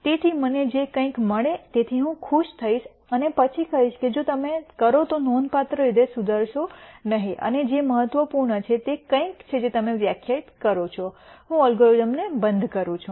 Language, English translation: Gujarati, So, I am going to be happy with whatever I get at some point and then say if you do not improve significantly and what is significant is something that you define I am going to stop the algorithm